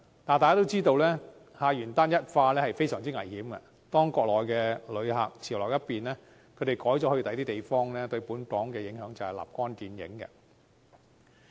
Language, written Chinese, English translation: Cantonese, 但大家都知道，客源單一化是非常危險的，當國內旅客潮流一變，他們改去其他地方，對本港的影響便立竿見影。, As we are all aware having a homogeneous source of visitors is very risky; once Mainland visitors go to other destination instead the impacts on Hong Kong are immediately felt